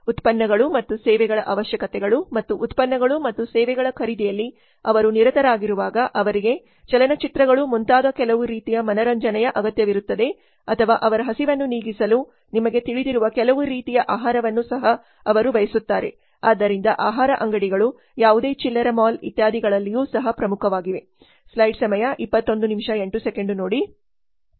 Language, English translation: Kannada, And while they are busy with purchasing of products and services they also need some other types of entertainment like movies etc or and they also want some kind of food to eat to satisfy their hunger so food codes have also become important in any retail mall etc